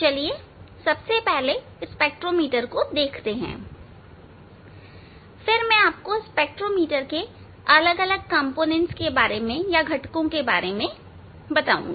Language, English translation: Hindi, let us see the spectrometer first, then I will discuss about the different components of the spectrometer